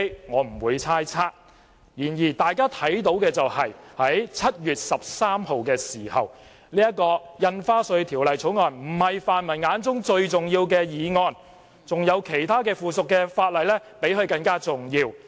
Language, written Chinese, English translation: Cantonese, 我不會猜測背後的動機，然而大家看到的是，在7月13日，《條例草案》並非泛民議員眼中最重要的議項，他們認為附屬法例比它重要。, I will not guess the motives behind but it is well evident that on 13 July the Bill was not regarded by the pan - democrats as a priority issue as they considered the subsidiary legislation more important